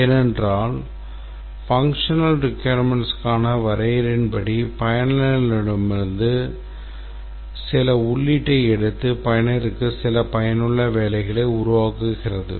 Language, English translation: Tamil, The answer is no because as per our definition of a functional requirement, it takes some input from the user and produces some useful piece of work for the user